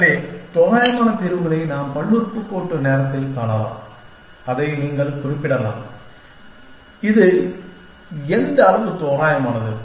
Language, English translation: Tamil, So, we can find approximate solutions, in polynomial time and you can specify it, what degree it is approximate